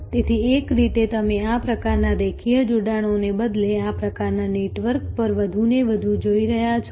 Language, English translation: Gujarati, So, in a way instead of this kind of linear linkages by you are looking more and more at this kind of networks